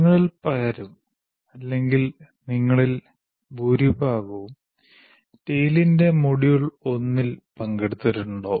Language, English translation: Malayalam, Many of you or most of you would have participated in the module 1 of tail